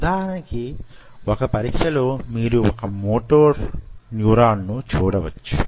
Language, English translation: Telugu, one test is: say, for example, you have, you know, you see the motor neuron out there